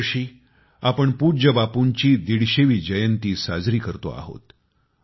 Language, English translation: Marathi, This year we are celebrating the 150th birth anniversary of revered Bapu